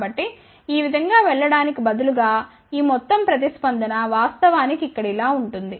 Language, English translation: Telugu, So, this entire response instead of going like this will actually go like this over here, ok